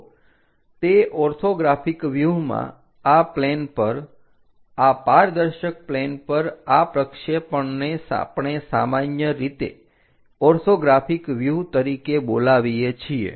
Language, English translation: Gujarati, So, this projections what we are calling on to the planes onto these opaque planes, what we call generally orthographic views